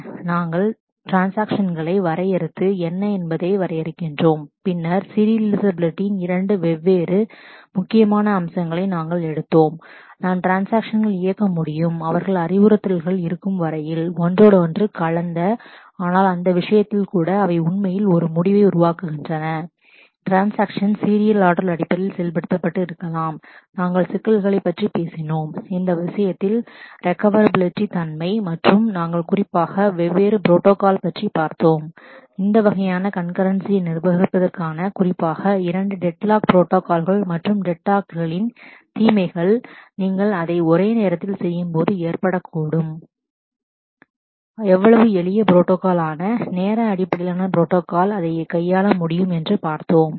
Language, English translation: Tamil, So, we defined transactions and define what is Concurrency and then we took in two different critical aspects of Serializability that it is possible that we can execute transactions in a manner so that their instructions are intermixed, but then even in that case, they actually produce a result which is as if these transactions could have been executed in the serial order and we talked about the issues of recoverability in this respect and we specifically looked at different protocols, particularly two phase locking protocol for managing this kind of concurrency and the evils of deadlock that may happen when you do it concurrency and how simple protocols like time based protocol can handle that